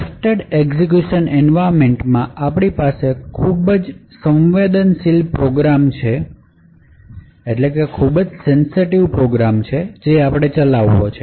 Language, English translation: Gujarati, With Trusted Execution Environment we have a very sensitive program that we want to run